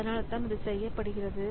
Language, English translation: Tamil, So that is why it is done